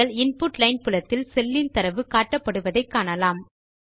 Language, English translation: Tamil, You see that the data of the cell is displayed in the Input line field